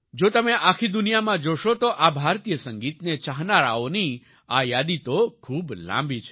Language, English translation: Gujarati, If you see in the whole world, then this list of lovers of Indian music is very long